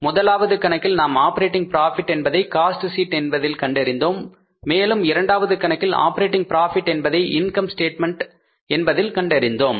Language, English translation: Tamil, In the first problem we calculated the operating profit in the cost sheet and now second problem we calculated the operating profit in the income statement